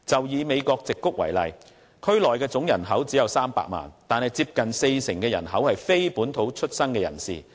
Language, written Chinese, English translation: Cantonese, 以美國矽谷為例，區內總人口只有300萬，但當中接近四成人口是非本土出生的人士。, Take the Silicon Valley in the United States as an example . Nearly 40 % of the total population of 3 million in the region were born not in the United States